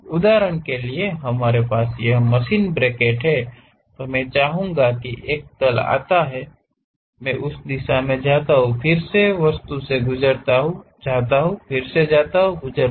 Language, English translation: Hindi, For example: we have this bracket, I would like to have a plane comes in that direction goes, again pass through that object goes comes, again goes